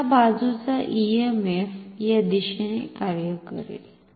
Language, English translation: Marathi, So, the EMF on this side will act in this direction